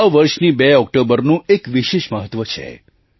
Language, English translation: Gujarati, The 2nd of October, this year, has a special significance